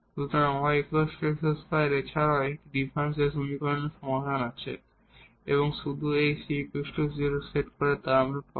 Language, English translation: Bengali, So, y is equal to x square is also a solution of this differential equation and by setting just this c to 0